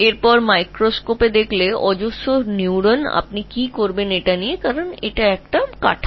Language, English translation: Bengali, Then you go over a microscope, you find neurons, huge number of neurons